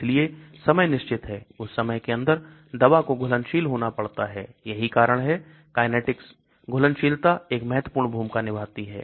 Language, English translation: Hindi, so the time is fixed, within that time the drug has to dissolve that is why kinetic solubility plays an important role